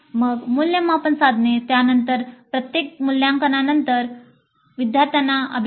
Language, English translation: Marathi, Then assessment instruments, then feedback to students after every assessment, this is very important